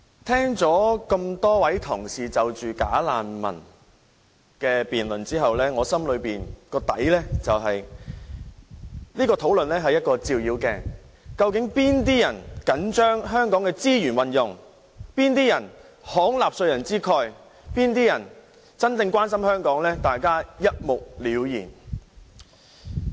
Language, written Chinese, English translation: Cantonese, 聽過多位同事有關"假難民"的辯論後，我心中想，這項討論是一面照妖鏡，究竟哪些人緊張香港的資源運用，哪些人慷納稅人之慨，哪些人真正關心香港，大家一目了然。, After I have listened to Members speeches on bogus refugees I think the debate can serve as the Foe Glass showing clearly who really care about the use of resources who want to be generous at the expense of taxpayers and who have a genuine care for Hong Kong